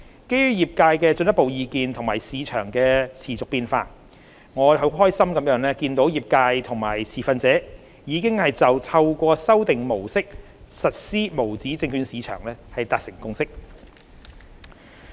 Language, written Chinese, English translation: Cantonese, 基於業界的進一步意見及市場的持續變化，我非常高興見到業界及持份者已就透過修訂模式實施無紙證券市場達成共識。, With further feedback from the industry and the continuous evolvement of the market I am delighted to see that the industry and the stakeholders have reached a consensus concerning the implementation of USM under a revised operational model